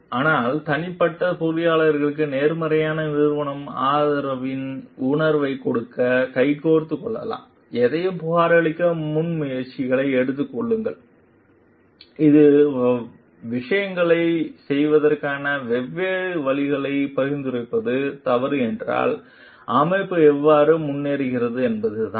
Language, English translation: Tamil, But, maybe hand in hand to give a sense of positive organizational support to the individual engineer to like take up initiatives to report anything which if it is wrong suggest different ways of doing things and that is how the organization moves ahead